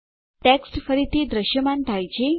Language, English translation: Gujarati, The text is visible again